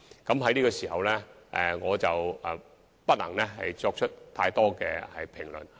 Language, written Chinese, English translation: Cantonese, 我現時不能就此作出太多評論。, I am not in a position to comment too much at the current stage